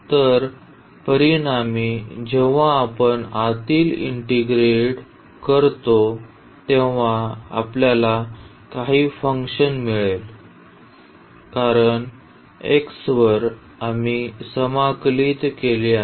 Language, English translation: Marathi, So, as a result when we integrate the inner one we will get some function because, over x we have integrated